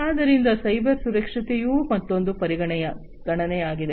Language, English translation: Kannada, So, cyber security is also another consideration